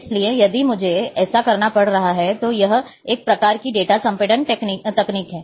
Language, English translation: Hindi, So, if I have to, one type of a data compression technique